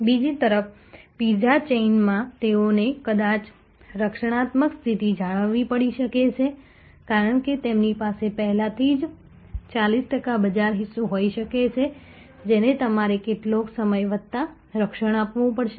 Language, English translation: Gujarati, On the other hand in the pizza chain they may have to hold they have defensive position, because they may already have a 40 percent market share, which they have to protect plus some times